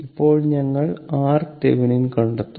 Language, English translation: Malayalam, Now, when we will find out the your R Thevenin